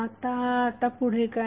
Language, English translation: Marathi, Now what next